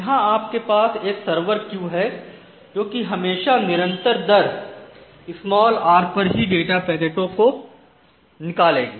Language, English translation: Hindi, So, you have a single server queue and this single server queue always output at a constant rate r